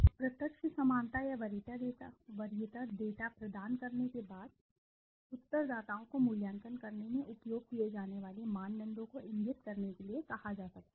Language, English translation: Hindi, After providing direct similarity or preference data the respondents may be asked to indicate the criteria they used in making the evaluation